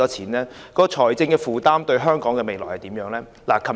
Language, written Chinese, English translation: Cantonese, 該計劃的財政負擔對香港未來有何影響？, What are its financial implications for the future of Hong Kong?